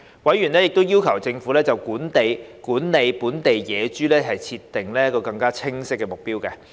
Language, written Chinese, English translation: Cantonese, 委員亦要求政府就管理本地野豬設定更清晰的目標。, Members also requested the Government to set more clear - cut objectives on its management for wild pigs in Hong Kong